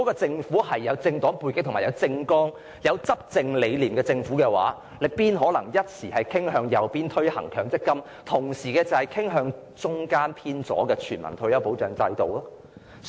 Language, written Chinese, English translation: Cantonese, 政府如果有政黨背景、政綱或執政理念，又怎麼可能傾向右方推行強積金計劃，而同時又傾向中間偏左推行全民退休保障制度呢？, If the Government has political affiliation a policy platform or philosophy of governance how can it possibly tilt to the right and implement the MPF System while adhering to the centre - left position and implement a universal retirement protection system?